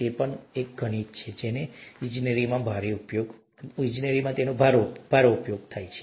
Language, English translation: Gujarati, That's also mathematics, heavily used in engineering and so on so forth, okay